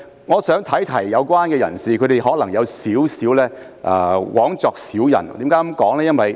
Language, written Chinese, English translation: Cantonese, 我想提醒有關人士，他們可能枉作小人。, I would like to remind the people concerned that the efforts they made with good intentions may be in vain